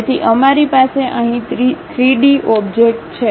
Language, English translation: Gujarati, So, we have a three dimensional object here